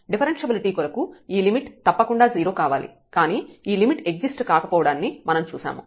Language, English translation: Telugu, For differentiability this limit must be equal to 0, but what we have seen that this limit does not exist